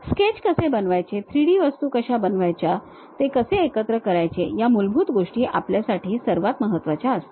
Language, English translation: Marathi, The basic things like how to sketch, how to make 3D objects, how to assemble made them is the most important thing for us